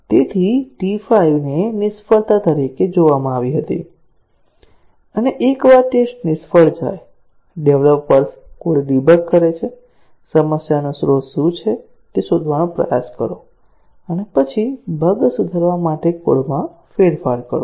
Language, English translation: Gujarati, So, T 5 was observed to be a failure and once a test case fails, the developers debug the code, try to locate what is the source of the problem and then, modify the code to correct the error